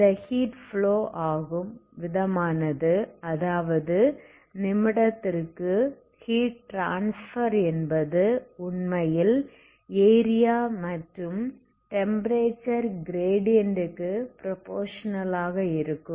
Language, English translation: Tamil, And also the rate at which this heat flows, okay so rate of rate of heat flow that is heat transfer per minute actually proportional to the area and area and temperature gradient, what is this